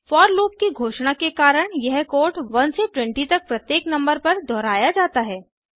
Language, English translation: Hindi, The for loop declaration causes the code to iterate over each element in the set 1 to 20